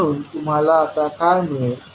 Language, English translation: Marathi, So, what you will get